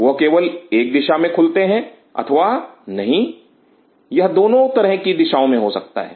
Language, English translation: Hindi, They may only open in one direction or they may not they may have both directionalities